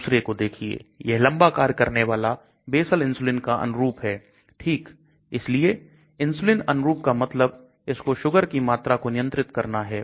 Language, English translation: Hindi, Look at the another one, this is long acting basal insulin analogue okay so insulin analogue means it is supposed to control the blood sugar level